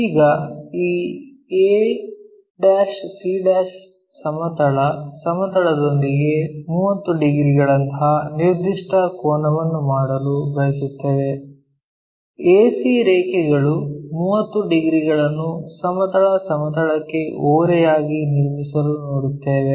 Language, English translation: Kannada, Now, we will like to have this ac making a particular angle like 30 degrees with the horizontal plane AC point 30 degrees inclined to horizontal plane how we will see